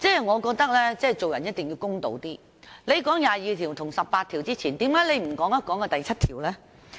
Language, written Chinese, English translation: Cantonese, 我覺得做人一定要公道一點，他們提及這兩項條文之前，為何不談談第七條？, We must be fair; why have they not referred to Article 7 before referring to these two articles?